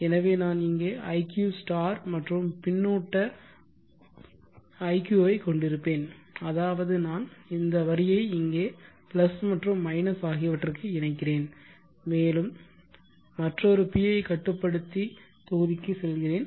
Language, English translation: Tamil, Now I will do that for iq also, so I will have here iq * and feedback iq which means I will be feeding back this line here, plus and minus and goes to another pi controller block